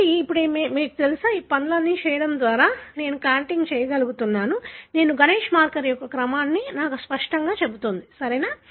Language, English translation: Telugu, 1: So, you know, by, by doing all these things I am able to make a contig, which clearly tells me that this is the order of the marker that is GANESH, right